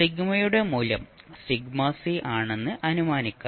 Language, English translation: Malayalam, Let's assume that, value of sigma is sigma c